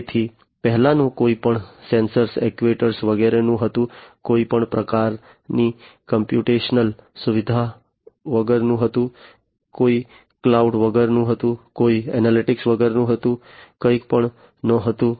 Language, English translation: Gujarati, So, the previous one was without any sensors, actuators, without any kind of computational facility, no cloud, no analytics, nothing